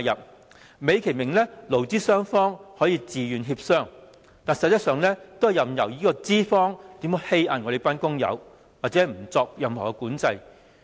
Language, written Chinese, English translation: Cantonese, 這做法美其名是勞資雙方可以自願協商，但實質是任由資方欺壓工友，而不作任何管制。, This practice is nicely put as an approach allowing voluntary negotiations between employees and employers . Yet in reality the Government is allowing employers to exploit workers and does not impose any regulation